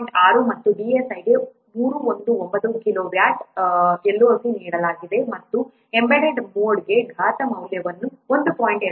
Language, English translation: Kannada, 6 and the DHA is given 319 kilo what LOC and the exponent value for embedded mode is 1